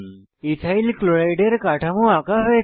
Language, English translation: Bengali, Structure of Ethyl chloride is drawn